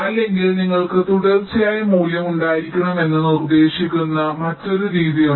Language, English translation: Malayalam, or there is another method which propose that you can have a continuous value